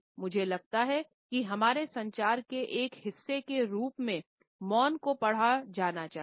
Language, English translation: Hindi, In the way silence is to be read as a part of our communication